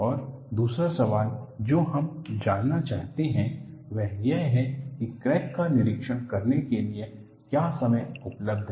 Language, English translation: Hindi, And the other question that we would like to know is, what is the time available for inspecting the crack